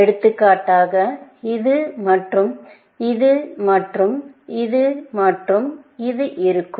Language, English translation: Tamil, So, a solution will have, for example, this and this and this and this